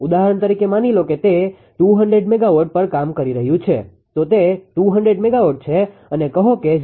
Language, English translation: Gujarati, Suppose it was operating at for example, say it was operating at 200 megawatts say and you ah say your ah 0